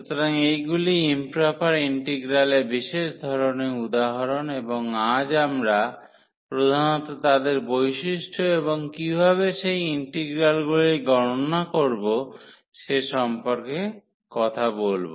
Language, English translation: Bengali, So, these are the special type of examples for improper integrals and today we will be talking about mainly their properties and how to evaluate those integrals